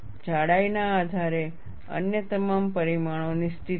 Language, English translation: Gujarati, Based on the thickness, all other dimensions are fixed